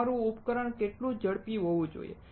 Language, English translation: Gujarati, How fast your device should be